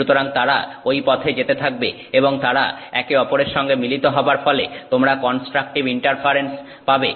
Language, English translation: Bengali, So they will continue to go that way and they add to each other and so you have constructive interference